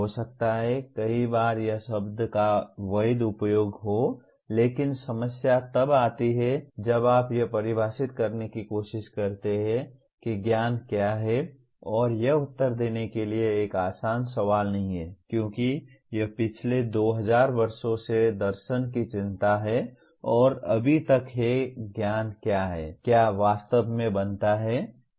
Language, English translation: Hindi, May be many times it is valid use of the word but the problem comes when you try to define what constitutes knowledge and this is not an easy question to answer because that is the concern of the philosophy for the last 2000 years and yet there has been no agreement on what is knowledge